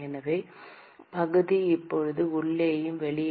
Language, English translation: Tamil, So, note that the area is now different in the inside and the outside 2pi r1 L